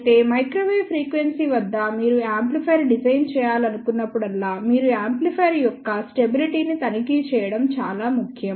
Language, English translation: Telugu, However, at microwave frequency, whenever you want to design an amplifier it is very very important that you check the stability of the amplifier